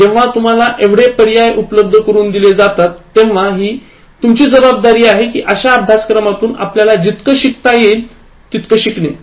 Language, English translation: Marathi, Now, when this much choice is given to you, it’s important that, you try to gain as much as possible from these courses